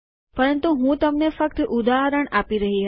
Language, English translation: Gujarati, But I was just giving you an example